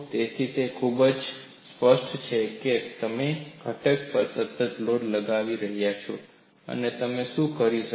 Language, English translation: Gujarati, So, it is very clear that you are having a constant load applied to the component, and what you could do